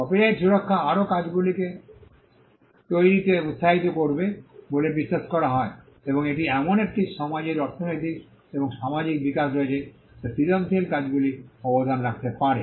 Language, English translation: Bengali, Copyright protection is also believed to incentivize creation of further works and it also has the economical and social development of a society which the creative work could contribute to